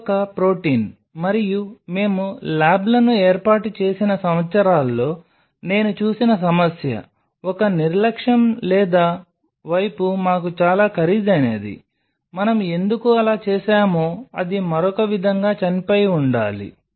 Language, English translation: Telugu, Because this is a protein and problem I have seen over the years when we have set up labs, one negligence or not side coasted us very dearly that shit why we did like that it should have dyed other way